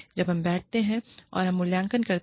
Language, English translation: Hindi, When, we sit down, and we evaluate